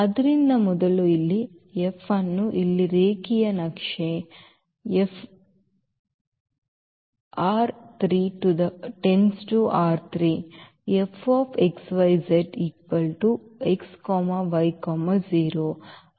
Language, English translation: Kannada, So, first here let F is a linear map here R 3 to R 3 with F x y z is equal to x y 0